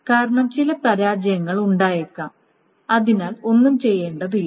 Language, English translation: Malayalam, If there is no failure, then nothing needs to be done